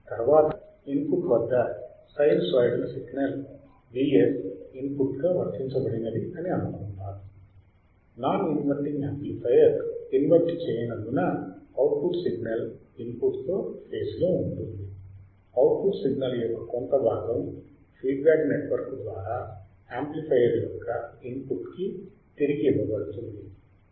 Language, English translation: Telugu, Next, next is assumed that a sinusoidal input signal V s is applied to the input at since amplifier is non inverting the output signal is in phase with input a part of output signal is fed back into the input of the amplifier through the feedback network shown in figure this is exactly what we are talking about